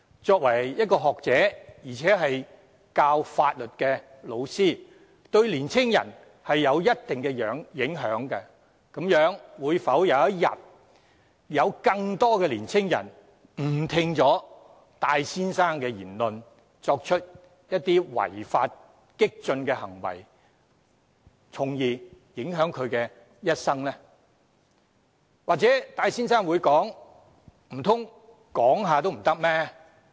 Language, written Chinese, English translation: Cantonese, 作為一位學者，而且是教授法律的教師，他對於年青人有着一定影響，會否有一天有更多年青人誤聽戴先生的言論，作出違法激進的行為，從而影響了他們的一生呢？, As an academic and a law teacher he has a certain degree of influence on young people . Will more young people be misled by Mr TAIs remarks and resort to illegal radical actions that will affect their lives?